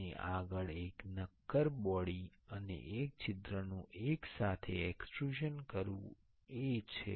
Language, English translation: Gujarati, And next is the extrusion of a solid body and a hole together